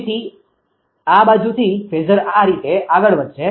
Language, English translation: Gujarati, So, phasor from this side will move like this